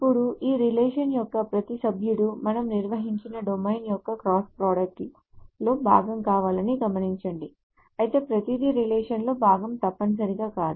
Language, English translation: Telugu, Now note that every member of this relation must be part of the cross product of the domain that we have defined, but it is not necessarily that everything is part of the relation